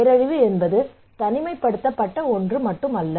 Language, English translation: Tamil, Disaster is not an isolated one